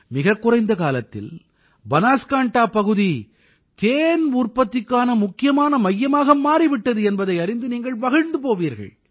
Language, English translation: Tamil, You will be happy to know that in such a short time, Banaskantha has become a major centre for honey production